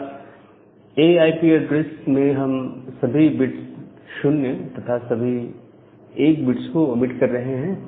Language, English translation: Hindi, So, in case of a class A IP address we are omitting all 0’s and all 1’s